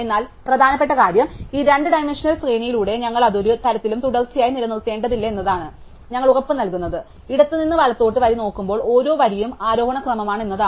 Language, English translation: Malayalam, But the important thing is that we are not necessarily maintaining it in a kind of sequential way through this two dimensional array, all we are guarantying is that every row as we look at the row from left to right is an ascending order